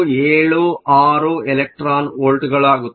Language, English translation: Kannada, 276 electron volts